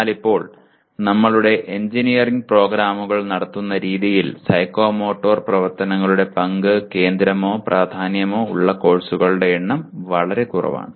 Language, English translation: Malayalam, But right now, the way we are conducting our engineering programs there are very small number of courses where the role of psychomotor activities is becomes either central or important